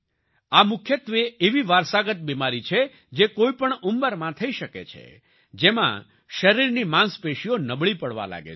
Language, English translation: Gujarati, It is mainly a genetic disease that can occur at any age, in which the muscles of the body begin to weaken